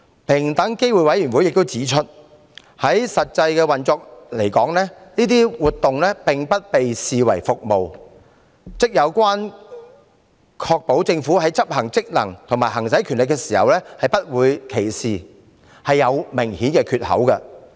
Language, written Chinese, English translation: Cantonese, 平機會亦指出，以實際運作而言，上述活動不被視為服務，也就是說，關於確保政府在執行職能和行使權力時不會歧視，是有明顯的缺口。, EOC also pointed out that in actual operation the above mentioned acts would not be considered as services . In order words there is an obvious gap in the law in ensuring that the Government will not discriminate against anyone in the performance of its functions or the exercise of its powers